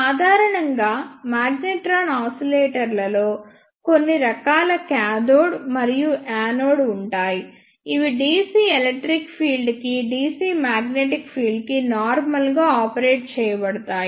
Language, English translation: Telugu, Generally magnetron oscillators contain some form of cathode and anode which are operated in dc magnetic field normal to the dc electric field